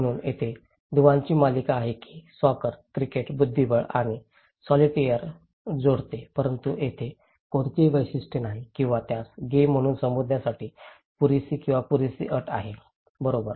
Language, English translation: Marathi, So, there is a series of links that which connect soccer, cricket, chess and solitaire but there is no single feature or that is enough or sufficient condition to call it as a game, right